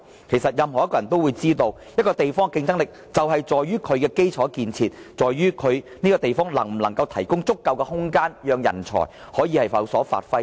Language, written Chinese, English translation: Cantonese, 其實任何一個人也知道，一個地方的競爭力是在於其基礎建設，在於這個方面能否提供足夠的空間，讓人才可以有所發揮。, Actually everybody knows that the competitiveness of a place depends on its infrastructure and whether it can provide the space for people to bring their creativity into full play